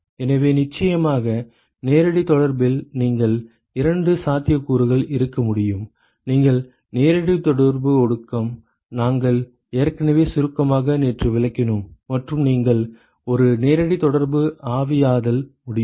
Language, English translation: Tamil, So, of course, in direct contact you can have two possibilities, you can have direct contact condensation, which we already briefly explained yesterday and you can have a direct contact vaporization